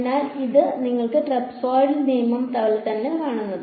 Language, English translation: Malayalam, So, does not this look exactly like your trapezoidal rule right